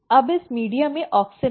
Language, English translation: Hindi, Now, this media has auxin